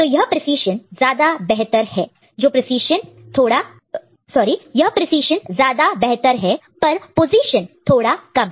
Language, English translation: Hindi, So, here the precision is better and here the position is bit less